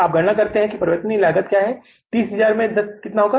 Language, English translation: Hindi, You will calculate the variable cost 30,000 into 30,000 into 10 will be how much